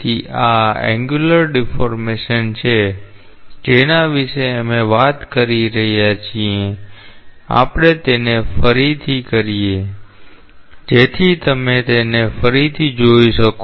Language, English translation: Gujarati, So, this is the angular deformation that we are talking about, we just play it again, so that you can see it again